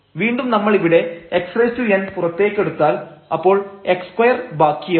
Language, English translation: Malayalam, And here we have again x power n taken out so, 1 x we have to divide